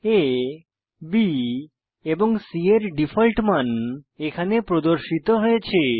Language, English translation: Bengali, The default values of A, B and C are displayed here